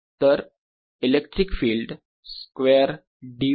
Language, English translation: Marathi, so this is electric field square d v